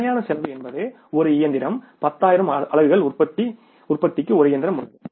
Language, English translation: Tamil, Fix cost is a machine for manufacturing means say 10,000 units